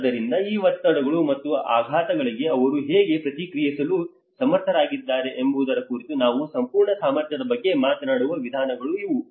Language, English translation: Kannada, So these are the ways how the whole capacity we will talk about how they are able to respond to these stresses and shocks